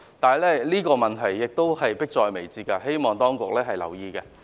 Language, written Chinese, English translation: Cantonese, 這個問題已經迫在眉睫，希望當局留意。, This is an imminent problem that warrants the attention of the authorities